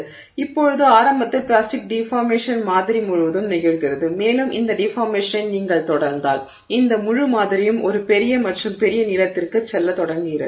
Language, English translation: Tamil, So, now initially the plastic deformation is occurring throughout the sample and then as you continue this deformation at, and so, and then so this whole sample is beginning to, you know, go to a larger and larger length